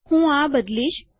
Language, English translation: Gujarati, Ill change this